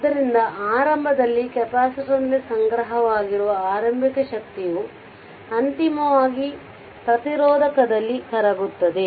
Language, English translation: Kannada, So, initially initial energy stored in the capacitor is eventually dissipated in the resistor